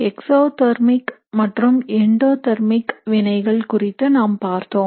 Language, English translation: Tamil, And we had looked at it in terms of exothermic and endothermic reactions